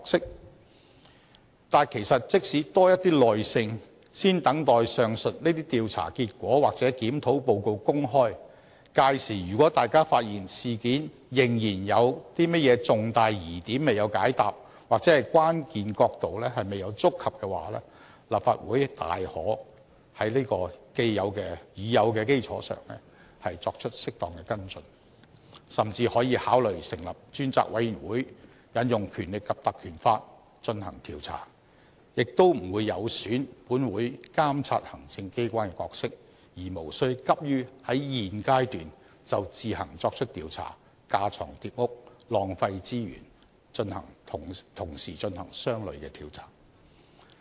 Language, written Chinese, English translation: Cantonese, 但是，大家不妨給予多一點耐性，先等待上述這些調查結果或檢討報告公開，屆時如果大家發現事件仍然有甚麼重大疑點未有解答或關鍵角度未有觸及的話，立法會大可在已有的基礎上作出適當跟進，甚至可以考慮成立專責委員會引用《條例》進行調查，亦不會有損本會監察行政機關的角色，而無需急於在現階段就自行作出調查，架床疊屋、浪費資源同時進行相類的調查。, However we should be more patient and should first wait for the results of these investigations and reports of these reviews . If we find out that there are still major suspicions unresolved and crucial angles untouched upon in the incident the Legislative Council can then follow up on these aspects properly upon the established foundation and can even consider setting up a select committee to carry out an investigation through invoking the Ordinance without weakening our role in monitoring the executive authorities . It is unnecessary for us to launch our own investigation at this stage as it will be duplicating and wasting resources to carry out similar investigations at the same time